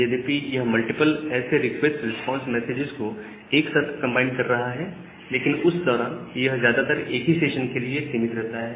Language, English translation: Hindi, And during that time although it it is combining multiple such requests response together, but that mostly will mostly related or mostly limited to a single session